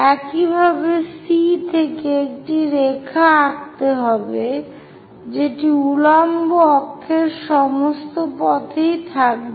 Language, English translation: Bengali, Similarly, from C to draw a line, all the way to vertical axis